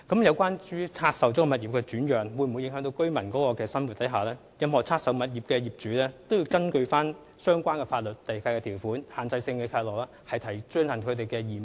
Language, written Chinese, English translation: Cantonese, 有關拆售物業的轉讓會否影響居民的生活，任何拆售物業的業主均須根據相關地契條款及限制性契諾履行其義務。, Regarding whether an assignment of divested property will affect the lives of residents any owner of a divested property should discharge the duties provided in the relevant land lease conditions and restrictive covenants